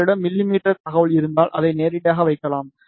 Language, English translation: Tamil, If you have the information in mm you can put it directly